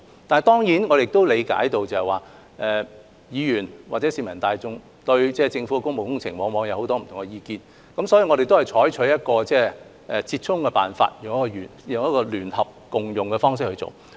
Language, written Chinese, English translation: Cantonese, 但是，我亦理解議員或市民大眾對政府的工務工程往往有很多不同的意見，所以我們採取折衷的辦法，即聯合共用大樓的方案。, However I also understand that Members or the general public often have different views regarding the public works projects of the Government . For this reason we have achieved a happy medium by adopting the proposal on a joint - user building